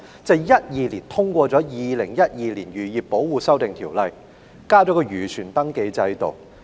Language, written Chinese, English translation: Cantonese, 在2012年，《2012年漁業保護條例》生效，引入漁船登記制度。, In 2012 the Fisheries Protection Amendment Ordinance 2012 came into effect under which a fishing vessel registration scheme was introduced